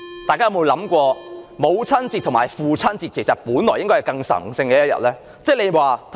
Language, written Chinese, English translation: Cantonese, 大家有沒有想過，母親節和父親節應該是更神聖的日子？, Have you even come to your mind that the Mothers Day and the Fathers Day are more sacred